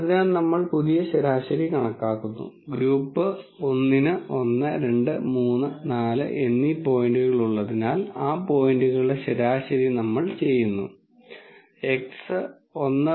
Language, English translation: Malayalam, So, we compute the new mean and because group 1 has points 1, 2, 3, 4, we do a mean of those points and the x is 1